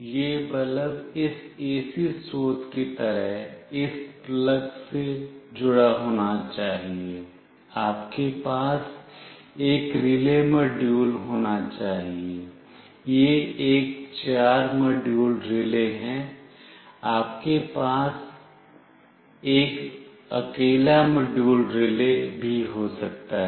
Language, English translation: Hindi, This bulb should be connected to this plug like this AC source, you must have a relay module with you, this is a four module relay, you can have a single module relay with you also